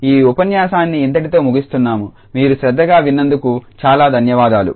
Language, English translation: Telugu, And that is all for this lecture, I thank you very much for your attention